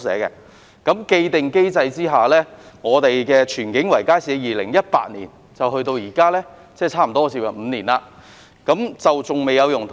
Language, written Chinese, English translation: Cantonese, 在既定機制下，荃景圍街市由2018年到現在，即差不多接近5年尚未有用途。, Under the established mechanism the Tsuen King Circuit Market has not been put to use from 2018 till now that is for almost five years